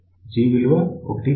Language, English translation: Telugu, 1 this is 1